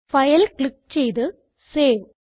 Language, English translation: Malayalam, Click on FilegtSave